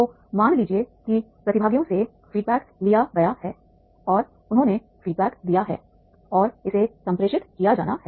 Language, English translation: Hindi, So suppose the feedback is taken from the participants and they have given the feedback and that is to be communicated